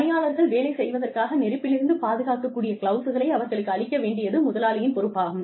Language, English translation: Tamil, It is the responsibility of the employer, to give the employees, fireproof gloves to work with